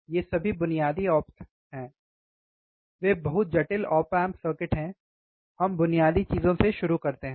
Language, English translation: Hindi, These are all basic op amps ok, they are very complex op amp circuits, we start with the basic things